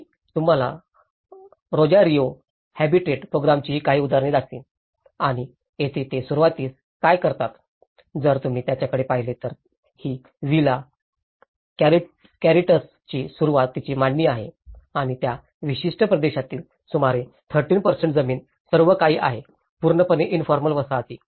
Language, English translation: Marathi, I will show you some examples of Rosario Habitat Programme and here, what they do is initially, if you look at it, this is the initial layout of the Villa Corrientes and there has been almost 13% of the land in that particular region is all completely the informal settlements